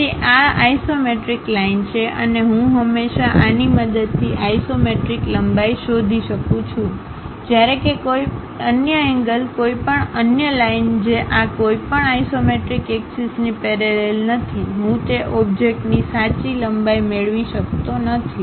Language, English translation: Gujarati, So, these are isometric lines and I can always find this isometric lengths; whereas, any other angle, any other line which is not parallel to any of this isometric axis I can not really get true length of that object